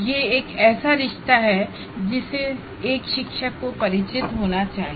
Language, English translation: Hindi, That is a relationship that one should be, a teacher should be familiar with